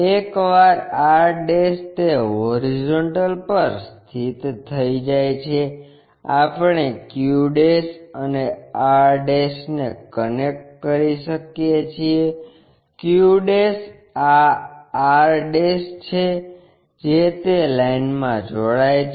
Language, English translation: Gujarati, Once r' is located on that horizontal; we can connect q' and r', q' is this r' is that join that line